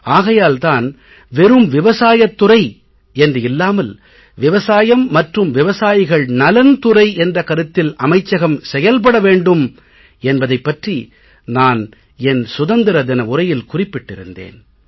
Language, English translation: Tamil, That is why I declared on 15th August that it is not just an agricultural department but an agricultural and farmer welfare department will be created